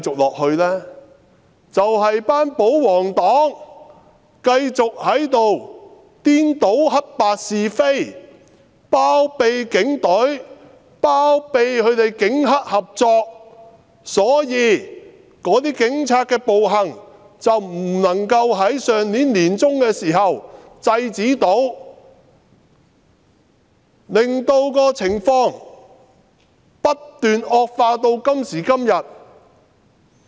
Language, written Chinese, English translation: Cantonese, 便是因為保皇黨繼續在這裏顛倒黑白是非，包庇警隊，包庇警黑合作，所以警察的暴行未能在上年年中受到制止，令情況不斷惡化至今。, It is because the pro - Government camp continues to confound right with wrong here harbouring the Police and shielding their collusion with triad members . That is why police brutality could not be stopped in the middle of last year resulting in an ever - worsening situation